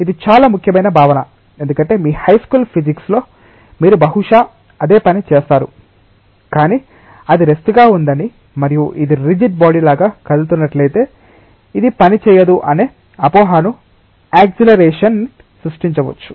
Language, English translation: Telugu, This is a very very important concept because, in your high school physics you perhaps have done the same thing, but assuming that it is at rest and that might create a misconception that this will not work, if it is moving like a rigid body with an acceleration